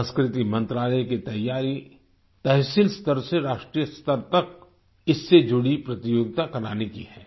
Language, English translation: Hindi, The Culture Ministry is geared to conduct a competition related to this from tehsil to the national level